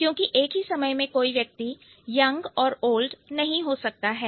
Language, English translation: Hindi, Because a person cannot be both young and old